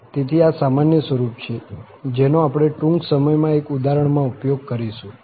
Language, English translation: Gujarati, So, this is the general form, which we will use in one of the examples soon